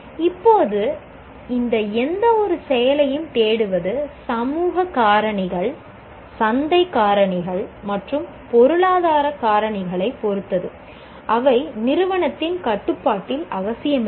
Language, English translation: Tamil, Now, this seeking of any of these activity will depend on social factors, market factors, and economic factors, which are not necessarily in the control of the institute